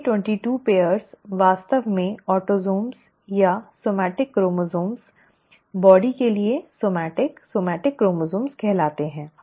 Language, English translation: Hindi, The first 22 pairs are actually called autosomes or somatic chromosomes, somatic for body, somatic chromosomes